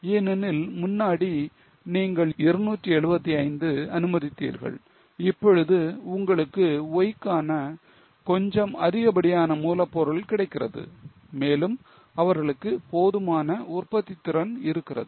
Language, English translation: Tamil, Because now earlier you were allowing 275, now you are getting some extra raw material for why and they are having enough capacity